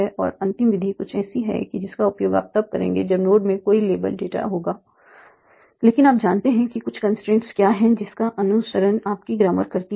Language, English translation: Hindi, And the final method is something that you will use when you do not have any label data, but you know what are some of the constraints that your grammar follows